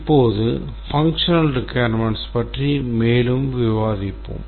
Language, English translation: Tamil, Now let's look at the functional requirements